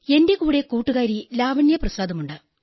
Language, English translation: Malayalam, My fellow Lavanya Prasad is with me